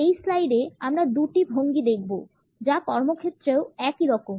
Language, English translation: Bengali, In this slide we would look at two postures which are also same in the workplace